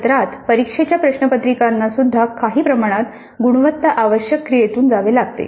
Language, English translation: Marathi, Even semester and examination papers have to go through certain amount of quality assurance activity